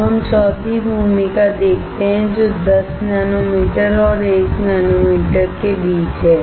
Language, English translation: Hindi, We then have the fourth role which is somewhere between 10 nanometer and 1 nanometer